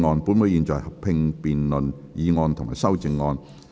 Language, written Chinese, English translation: Cantonese, 本會現在合併辯論議案及修正案。, This Council will conduct a joint debate on the motion and the amendments